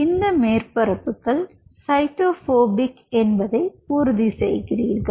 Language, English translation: Tamil, ok, so you are kind of ensuring that these surfaces are cyto phobic